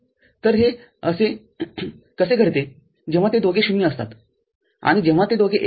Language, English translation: Marathi, So, that is how what happens so, when it is both of them are 0 and when both of them are 1